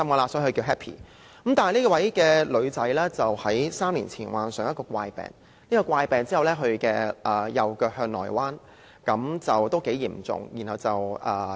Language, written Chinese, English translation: Cantonese, 可惜，這名女孩子於3年前患上一個怪病，使她的右腳向內彎，情況相當嚴重。, Unfortunately this girl contracted a strange disease three years ago causing her right leg to bend inwards in a fairly serious condition